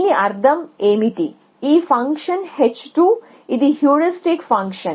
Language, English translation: Telugu, So, what does it means that this function h 2 which is a heuristic function